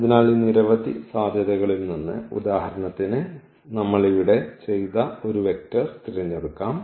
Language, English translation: Malayalam, So, out of these many possibilities we can just pick one vector that we have done here for instance